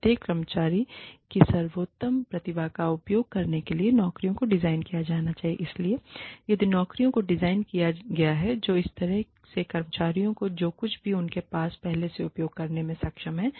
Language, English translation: Hindi, The jobs should be designed, to use the best talents, of each employee So, if the jobs are designed, in such a manner, that the employees are able to use, whatever they already have